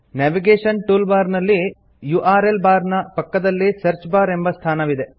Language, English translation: Kannada, Next to the URL bar on the navigation toolbar, there is a Search bar field